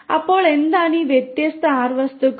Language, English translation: Malayalam, So, what are these different R objects